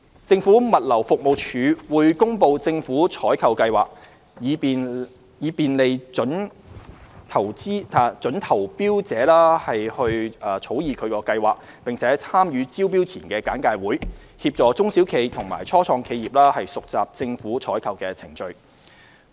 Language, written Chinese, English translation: Cantonese, 政府物流服務署會公布政府採購計劃，以便利準投標者草擬其計劃，並參與招標前簡介會，協助中小企和初創企業熟習政府採購的程序。, The Government Logistics Department will publish government procurement plans to facilitate planning by prospective tenderers and join pre - tendering briefings to help SMEs and start - ups familiarize with government procurement procedures